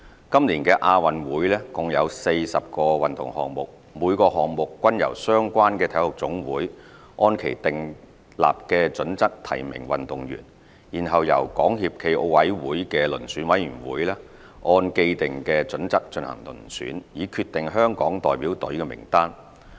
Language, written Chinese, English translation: Cantonese, 今年的亞運會共有40個運動項目，每個項目均由相關的體育總會按其訂立的準則提名運動員，然後由港協暨奧委會的遴選委員會按既定準則進行遴選，以決定香港代表隊名單。, For each of the 40 sports in the 2018 Asian Games the related national sports association NSA nominated athletes for inclusion in the Delegation based on its established nomination criteria . These nominations were then submitted to the Selection Committee of SFOC for consideration with the established selection criteria